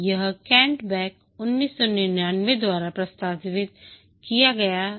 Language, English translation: Hindi, It was proposed by Kent Beck 1999